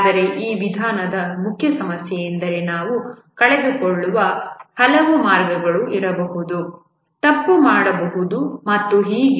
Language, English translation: Kannada, But then the main problem with this approach is that there may be many paths we miss out, may do a mistake, and so on